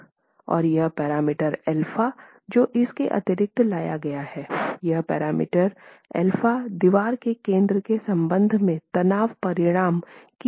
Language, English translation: Hindi, And this parameter alpha that is additionally brought in, this parameter alpha is actually the eccentricity of the tension resultant with respect to the centroid of the wall itself